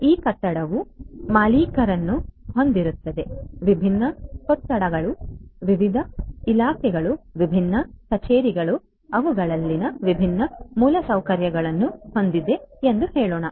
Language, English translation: Kannada, This building will have an owner, this building has different rooms, different departments different offices, different you know different infrastructure in them